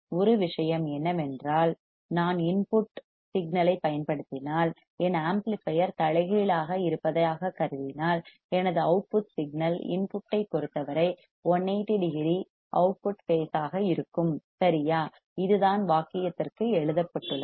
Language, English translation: Tamil, One thing we have seen what that if I apply input signal, and if I consider my amplifier to be inverting, then my output signal would be 180 degree out of phase with respect to input right, this is what is written for sentence ok